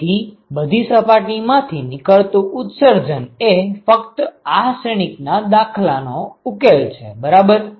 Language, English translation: Gujarati, So, the total emission from all the surfaces was just the solution of this matrix problem right